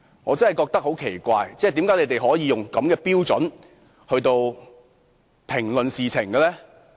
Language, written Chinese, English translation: Cantonese, 我真的覺得很奇怪，為何他們可以使用這種標準來評論事情呢？, I really find it very strange that they can make comments with such standards? . Their actions have said it all